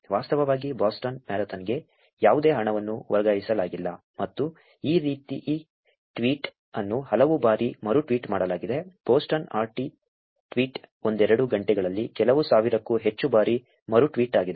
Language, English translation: Kannada, There was no money that was actually transferred to Boston marathon and this tweet get retweeted many many times, the Boston the RT tweet got retweeted more than few thousand times in couple of hours